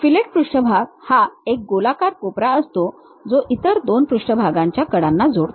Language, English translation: Marathi, A fillet surface is a rounded corner, connecting the edges of two other surfaces